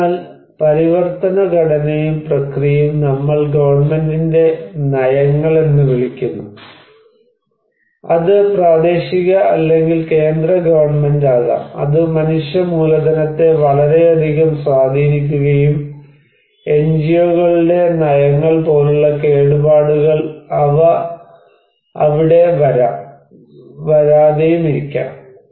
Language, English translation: Malayalam, So, transformation structure and process, we call the policies, policies of the government, it could be local, regional or central government that has a great impact on human capital and vulnerabilities like policies of the NGOs, they will come here or not